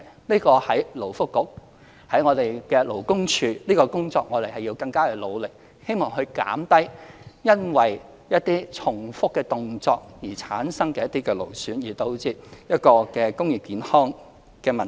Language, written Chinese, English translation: Cantonese, 勞工及福利局、勞工處在這方面的工作會更加努力，希望減低因重複動作而產生勞損的職業健康問題。, The Labour and Welfare Bureau and the Labour Department will work harder in this aspect with a view to alleviating the concerns of occupational health relating to musculoskeletal disorder resulted from repetitive movements